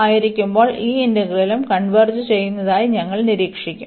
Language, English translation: Malayalam, So, in that case with the second integral converges